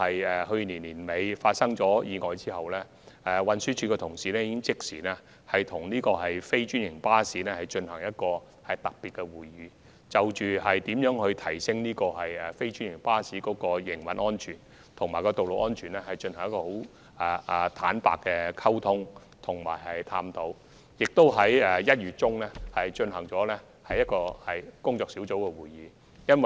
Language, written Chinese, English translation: Cantonese, 自去年年底發生的交通意外後，運輸署的同事已即時與非專營巴士公司舉行特別會議，就如何提升非專營巴士的營運安全及道路安全進行坦誠溝通和探討，並在1月中旬舉行了一次工作小組會議。, Following the traffic accident late last year TD personnel promptly held a special meeting with non - franchised bus operators to explore the enhancement of the operational safety and road safety of non - franchised buses through some frank communication . In addition a working group meeting was also held in mid - January